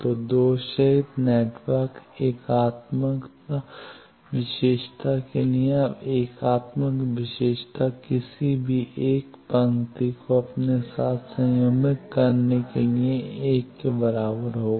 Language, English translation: Hindi, So, for lossless network unitary property, now unitary property is the any 1 row conjugated with itself will be equal to 1